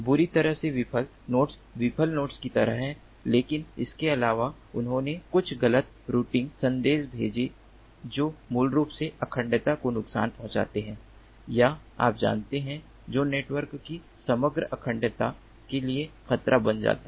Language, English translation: Hindi, badly failed nodes are like the failed nodes, but in addition they sent some false routing messages which basically hurts the integrity or the you know, which becomes a threat to the overall integrity of the network